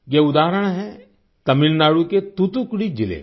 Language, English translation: Hindi, This is the example of Thoothukudi district of Tamil Nadu